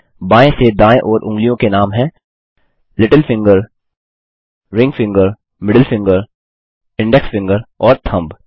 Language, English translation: Hindi, Fingers, from left to right, are named: Little finger, Ring finger, Middle finger, Index finger and Thumb